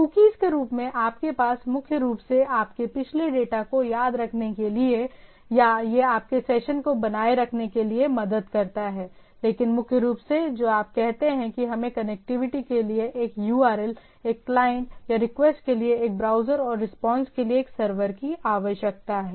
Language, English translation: Hindi, Cookies as you there is primarily to remember your previous data or it helps in a maintaining your session but primarily, what you say we require a URL for connectivity, a client or a browser for request and server for responding